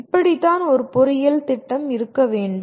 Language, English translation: Tamil, That is what an engineering program ought to be, okay